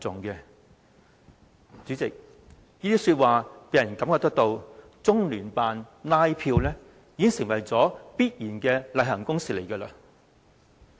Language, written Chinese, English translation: Cantonese, 代理主席，這些說話令人覺得，中聯辦拉票已經成為必然的例行公事。, Deputy President the remarks of all these people have given us the impression that canvassing by LOCPG has become a normal and routine work